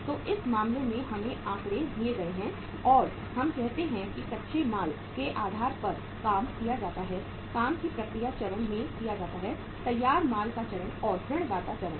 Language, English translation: Hindi, So in this case we are given the figures and we are given on the basis of say raw material, work in process stage, finished goods stage and the debtor stage